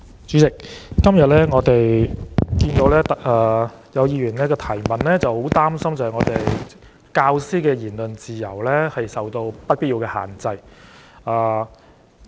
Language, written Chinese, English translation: Cantonese, 主席，我今天看到有議員提出質詢，擔心教師的言論自由受到不必要的限制。, President today I saw the Member raise the question worried that teachers freedom of speech is subjected to unnecessary restrictions